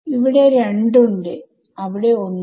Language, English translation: Malayalam, So, there is 2 here and there is 1 over here right